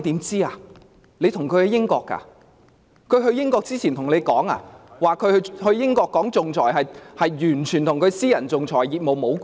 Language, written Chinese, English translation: Cantonese, 是否她赴英前告訴你，她去英國談論仲裁與她的私人仲裁業務無關？, Did she tell you that her speech on arbitration in the United Kingdom had nothing to do with her private arbitration practice before leaving Hong Kong?